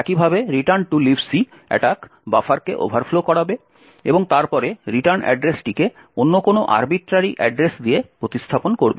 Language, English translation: Bengali, In a similar way the return to LibC attack would overflow the buffer and then replace the return address with some other arbitrary address